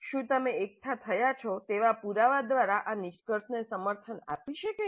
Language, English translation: Gujarati, Can this conclusion be supported by the evidence that you have gathered